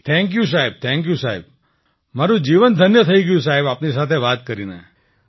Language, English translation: Gujarati, Thank you sir, Thank you sir, my life feels blessed, talking to you